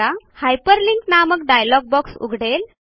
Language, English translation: Marathi, This will open the hyperlink dialog box